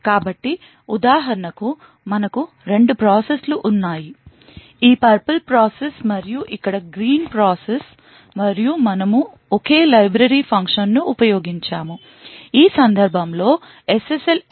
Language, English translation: Telugu, So, for example if we have two processes, this purple process and the green process over here and we used the same library function, which in this case is SSL encryption